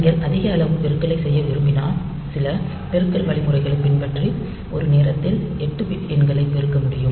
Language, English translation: Tamil, So, if you want a higher size multiplication then you have to follow some multiplication algorithm by which you can multiply 8 bit numbers at a time